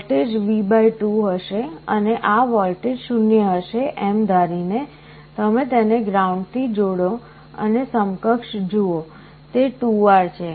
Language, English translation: Gujarati, So, the voltage will be V / 2, and assuming this voltage is 0, you connect it to ground and look at the equivalent; it is 2R